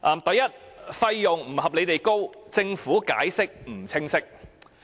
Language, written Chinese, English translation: Cantonese, 第一，費用不合理地高，政府解釋不清晰。, First the cost is unreasonably high and the Government has not clearly explained why